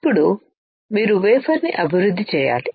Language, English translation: Telugu, Now, you have to develop the wafer